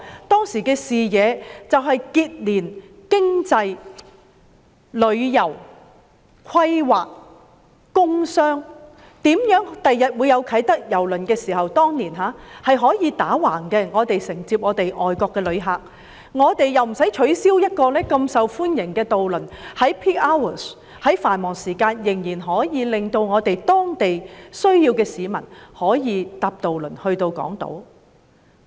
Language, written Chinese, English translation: Cantonese, 當時的視野是要結連經濟、旅遊、規劃、工商，構想如何在日後啟德郵輪碼頭落成時，可以承接外國旅客，亦不用取消如此受歡迎的渡輪服務，以讓當區有需要的市民可在繁忙時間乘搭渡輪前往港島。, Back then the proposal was founded on the vision to connect economy tourism planning and industrial and commerce identifying ways to receive overseas tourists arriving at Hong Kong upon the completion of the Kai Tak Cruise Terminal so that the popular ferry service did not have to be cancelled and the residents there might take the ferry to Hong Kong Island during peak hours